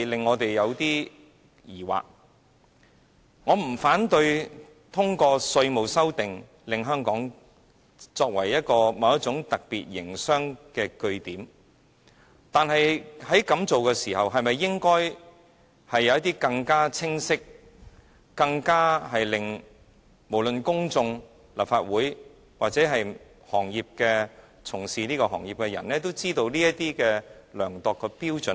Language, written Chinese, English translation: Cantonese, 我不反對通過修訂《稅務條例》使香港成為某種特別營商的據點，但是，如此一來，是否應該有一些更清晰，令公眾、立法會或行業從業員都知道怎樣量度的標準？, I do not object to amending the Ordinance with the aim of making Hong Kong a centre of certain special kinds of businesses . But in that case there should be some assessment criteria which are clear enough to the public the Legislative Council or the people in the related sectors right? . It looks like the present proposal actually gives the responsibility of assessment to IRD